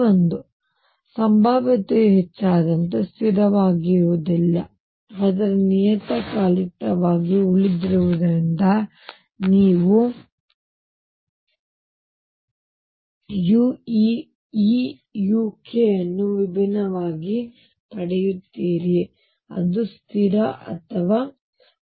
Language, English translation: Kannada, So, as the potential is increases becomes non constant, but remains periodic you get this u k which is different from that constant or 1